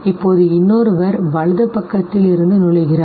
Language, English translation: Tamil, Now another one enters from the right side